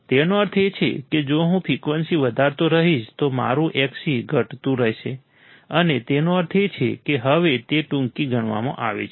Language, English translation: Gujarati, That means that if I keep on increasing the frequency, my Xc will keep on decreasing and that means, that it is considered now as a shorted